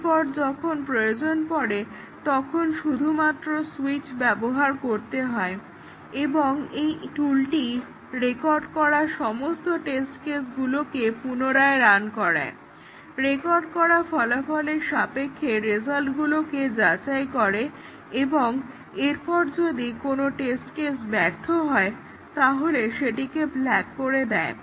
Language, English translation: Bengali, And then, whenever needed we can just press the switch and it will, the tool will rerun all the test cases which were recorded and check the results with respect to the recorded result and then, flag if any failed test cases are there